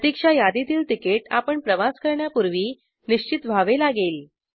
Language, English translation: Marathi, Wait listed ticket has to get confirmed before you travel